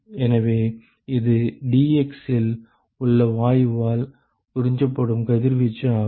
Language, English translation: Tamil, So, this is the radiation absorbed by the gas in dx